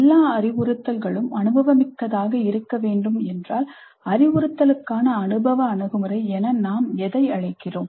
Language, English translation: Tamil, If all instruction must be experiential, what do we call as experiential approach to instruction